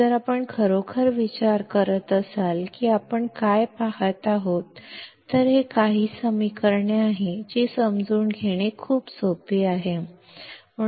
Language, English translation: Marathi, If you really think what we are looking at; it is some equations which are so simple to understand